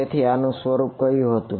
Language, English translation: Gujarati, So, what was the form of this